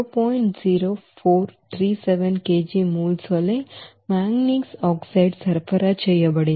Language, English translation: Telugu, 0413 kg moles of manganese oxide is required